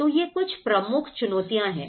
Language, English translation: Hindi, So, these are some major challenges